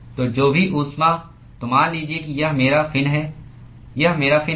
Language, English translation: Hindi, So, supposing if this is my fin this is my fin